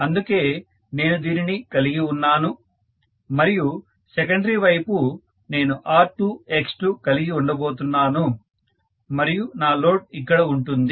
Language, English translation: Telugu, So I am having this and on the secondary side, I am going to have R2, X2, and here is my load, right